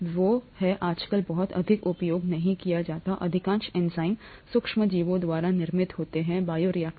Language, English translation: Hindi, They are not very extensively used nowadays, most enzymes are produced by microorganisms in bioreactors